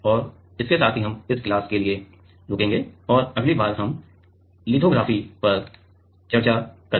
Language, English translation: Hindi, And with this we will stop for this class and next time we will discuss on lithography